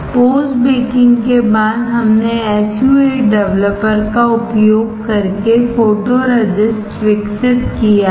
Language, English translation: Hindi, After post baking we have developed the photoresist using SU 8 developer